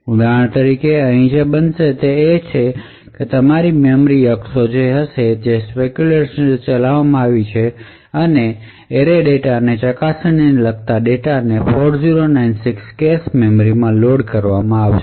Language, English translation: Gujarati, So, for example what would happen here is that there would be your memory axis which is done speculatively and data corresponding to probe array data into 4096 would be loaded into the cache memory from the lower size of the memory